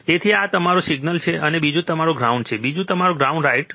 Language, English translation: Gujarati, So, one is your single, and second is your ground, second is your ground right